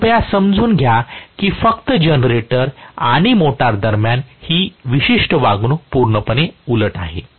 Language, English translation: Marathi, So, please understand that just between the generator and motor, this particular behavior is completely opposite